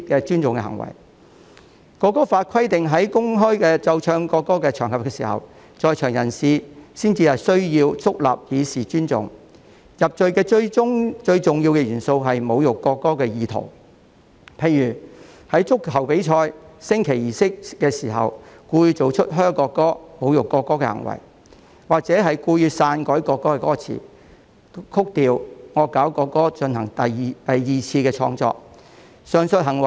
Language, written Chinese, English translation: Cantonese, 《條例草案》規定在公開奏唱國歌的場合，在場人士才需要肅立以示尊重，入罪最重要的元素是侮辱國歌的意圖，例如在足球比賽的升旗儀式上，作出向國歌喝倒采和侮辱國歌的行為，或故意篡改國歌歌詞、曲調、惡搞國歌進行二次創作。, The Bill provides that on occasions when the national anthem is publicly played and sung the people present is required to stand up solemnly to show respect . The most important element of conviction is the intention to insult the national anthem for example committing acts of booing and insulting the national anthem during the flag - raising ceremony of a football match or engaging in secondary creation by intentionally altering the lyrics or score of the national anthem and parodying